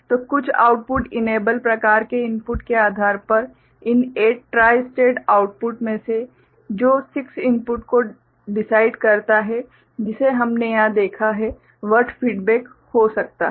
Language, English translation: Hindi, So, depending on some output enable kind of input that decides that right and out of these 8 tri stated outputs, 6 of them, the way we have seen over here can be feedback ok